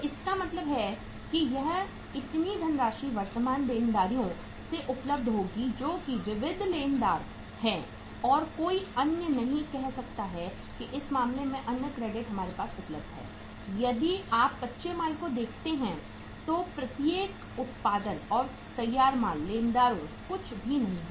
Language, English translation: Hindi, So it means this much of the funds will be available from the current liabilities that is the sundry creditors and no other uh you can say the other credit is available to us in this case if you look at raw material, then each of production, finished goods, creditors nothing is there